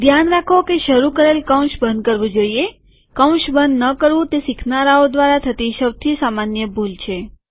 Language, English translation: Gujarati, Note that the opening brace has to be closed, not closing the brace is a common mistake made by the beginners